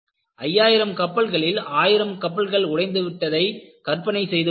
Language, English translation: Tamil, And imagine, out of the 5000 ships, 1000 ships break